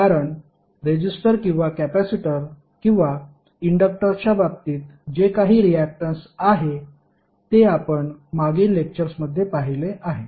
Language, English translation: Marathi, Because in case of resistor or capacitor or inductor, whatever the reactance is which we calculated in previous lectures